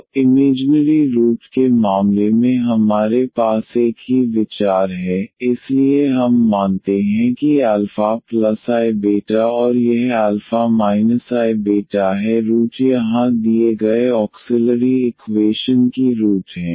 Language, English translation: Hindi, So, in the case of the imaginary root we have the same idea, so we assume that alpha plus i beta and this alpha minus i beta is the is the roots here are the roots of the given auxiliary equations